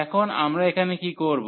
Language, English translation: Bengali, And now what we will do here